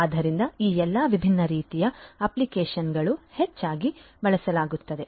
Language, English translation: Kannada, So, all of these different types of applications are often used